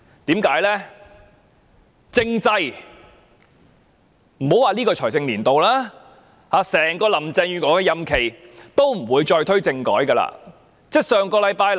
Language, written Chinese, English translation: Cantonese, 原因是，莫說這個財政年度，林鄭月娥在整個任期內也不會再推動政制改革。, The reason is that Carrie LAM will not revive political reform throughout her term of office let alone this financial year